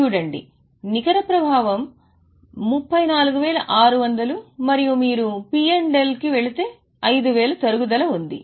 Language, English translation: Telugu, See, the net effect is 34 600 and if you go to P&L there was a depreciation of 5